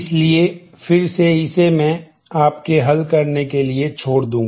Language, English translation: Hindi, So, again I will leave that for you to solve